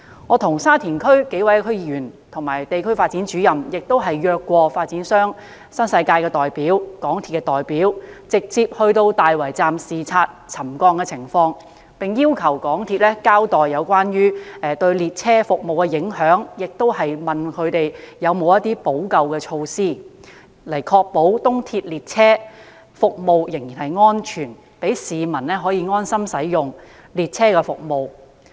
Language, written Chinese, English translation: Cantonese, 我和沙田區數位區議員和地區發展主任曾邀約發展商新世界的代表和港鐵公司的代表，直接到大圍站視察沉降情況，並要求港鐵公司交代沉降對列車服務的影響，同時詢問港鐵公司有否補救措施，以確保東鐵列車服務仍然安全，讓市民可以安心使用列車服務。, Several members of the Shatin District Council district development officers and I invited representatives of the New World Development Company Limited the developer and MTRCL to conduct a site inspection in respect of ground settlement at the Tai Wai Station . We also requested MTRCL to give an account of the impact of ground settlement on train service and enquired whether MTRCL had any remedial measures in place to ensure the safety of train service of the East Rail such that members of the public could hence put their mind at ease when using train service